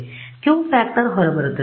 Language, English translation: Kannada, So, the Q factor also comes out